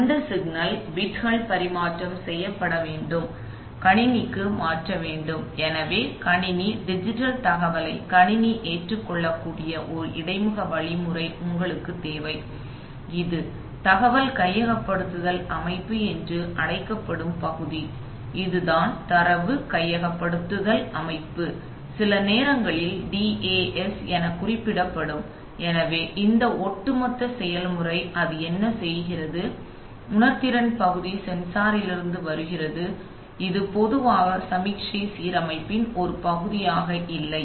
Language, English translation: Tamil, And then, that those lines are those bits have to be transfer, transferred to the computer, so you need an interfacing mechanism by which the computer can accept the digital data, so these are the typical, you know, this is the part which is called the data acquisition system, this is the data acquisition system which will sometimes refer to as the DAS, so this overall process, what, does it, the sensing part is comes from the sensor which is typically not a, not part of the signal conditioning